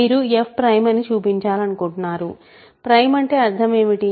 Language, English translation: Telugu, You want to show f is prime, what is the meaning of being prime